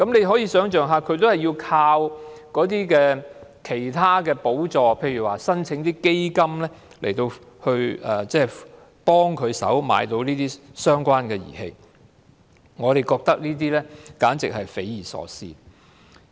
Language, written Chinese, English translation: Cantonese, 可以想象他們要靠其他補助，例如申請基金來幫助購買相關儀器，我們覺得這樣簡直是匪夷所思。, We can imagine that they will have to depend on other subsidies such as applications for grants under various funds in order to purchase the equipment . We find this simply inconceivable